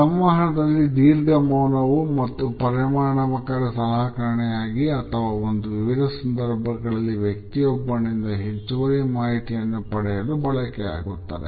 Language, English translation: Kannada, Longer silencers during communication are also in effective tool and in different situations can be used to get the other person to share additional information